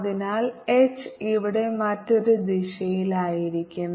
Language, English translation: Malayalam, so h will be in the other direction here